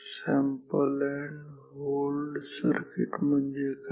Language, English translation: Marathi, What is sample and hold circuit